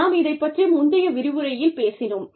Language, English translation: Tamil, We talked about this, in the previous lecture